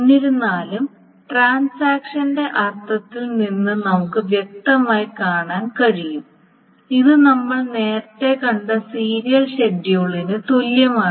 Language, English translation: Malayalam, However, as one can very clearly see from the semantics of the transaction that this is equivalent with the serial schedule that we saw earlier